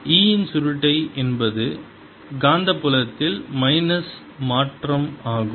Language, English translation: Tamil, curl of e is minus change in the magnetic field